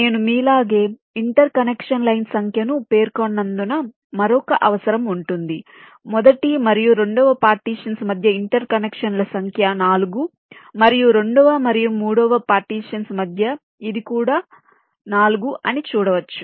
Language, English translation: Telugu, as you can see, between the first and second partitions the number of interconnections are four, and between second and third it is also four